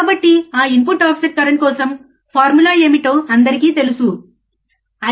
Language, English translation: Telugu, So, for that input offset current, everybody knows what is the formula is